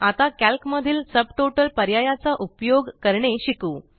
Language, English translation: Marathi, Now, lets learn how how to use the Subtotal option in Calc